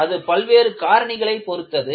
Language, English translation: Tamil, It depends on various factors